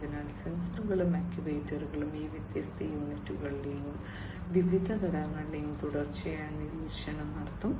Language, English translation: Malayalam, So, sensors and actuators will do the continuous monitoring of these different units and the different phases